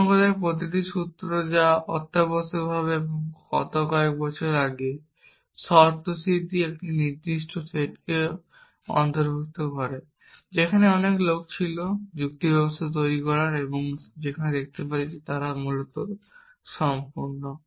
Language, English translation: Bengali, In other words, every formula that is entailed a given set of axioms essentially and in the last a couple of hundred years ago, there were lot of people trying to build logic systems and show that they are complete essentially